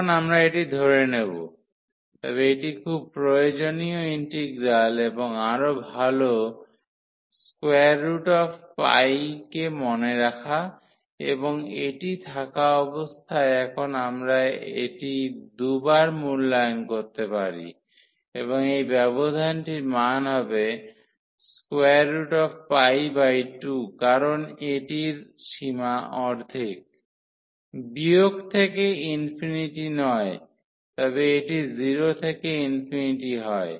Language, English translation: Bengali, So, at present we will assume this, but it is very useful integral and better to also remember this value square root of pi and having this one now we can evaluate this 2 times and the value of this interval is coming to b square root pi by 2 because this is in the half range not from minus into infinity, but it is 0 to infinity